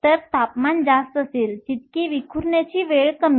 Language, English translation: Marathi, So, higher the temperature, smaller is the scattering time